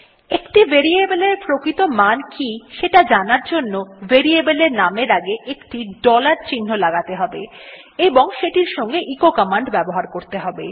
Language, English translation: Bengali, To see what a variable actually stores we have to prefix a dollar sign to the name of that variable and use the echo command along with it